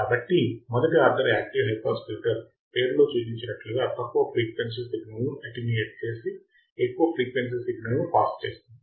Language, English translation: Telugu, So, a first order active high pass filter as the name implies attenuates low frequencies and passes high frequency signal correct